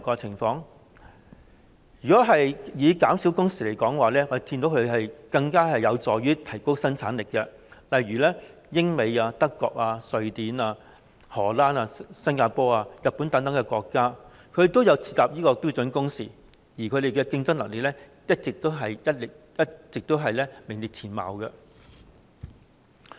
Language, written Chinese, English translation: Cantonese, 就減少工時來說，我們見到它有助提高生產力，例如英國、美國、德國、瑞典、荷蘭、新加坡和日本等國家，均設有標準工時，而當地的競爭力一直名列前茅。, Regarding the reduction of working hours we can see that such a move helps to increase productivity . For example there are standard working hours in the United Kingdom the United States Germany Sweden the Netherlands Singapore and Japan and these countries always stay in the forefront in terms of competitiveness